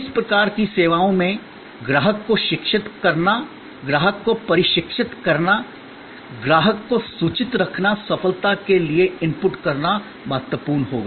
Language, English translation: Hindi, In these types of services, educating the customer, training the customer, keeping the customer informed will be an important to input for success